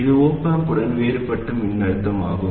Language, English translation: Tamil, And this is the differential voltage of the op amp